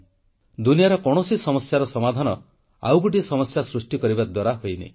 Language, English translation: Odia, No problem in the world can be solved by creating another problem